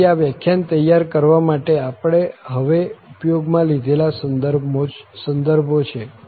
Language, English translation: Gujarati, So, these are the references we have used now for preparing this lecture